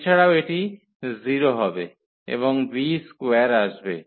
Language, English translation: Bengali, Also this will be 0 and b square will come